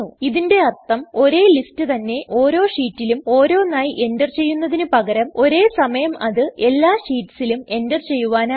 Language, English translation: Malayalam, This means, instead of entering the same list on each sheet individually, you can enter it in all the sheets at once